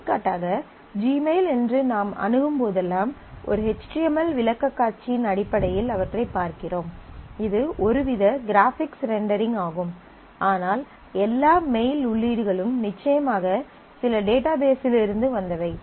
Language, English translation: Tamil, For example, whenever we access say gmail, we get to see them in terms of an html presentation which is some kind of a graphics rendering, but the all the mail entry certainly come from some database